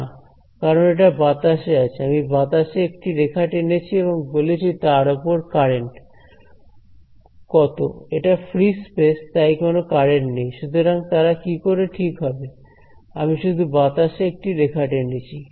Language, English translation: Bengali, No right because it is in thin air, I just made line in the air and said what is the current over here there is no current it is free space there is no current hanging out there how will they be right